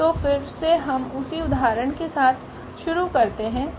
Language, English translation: Hindi, So, again we will continue with the same example